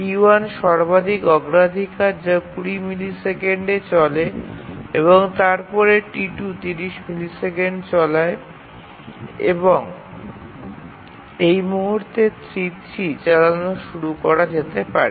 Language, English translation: Bengali, T1 is the highest priority that runs for 20 and then T2 runs for 30 and at this point T3 can start to run